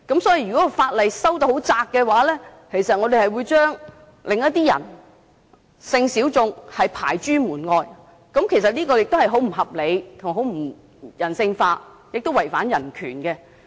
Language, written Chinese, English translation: Cantonese, 所以，如果法例的範圍訂得很狹窄的話，我們會將另一些人，即性小眾排諸門外，這是很不合理、不人性化，亦違犯人權。, Therefore a narrow scope of the legislation will exclude some other people who are sexual minorities . It is most unreasonable inhuman and also a violation of human rights